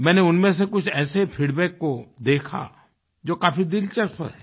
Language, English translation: Hindi, I came across some feedback that is very interesting